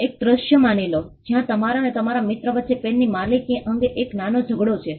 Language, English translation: Gujarati, Assume a scenario, where you and your friend have a small tussle with an ownership of a pen